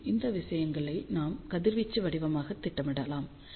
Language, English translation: Tamil, And, then we can plot these things as radiation pattern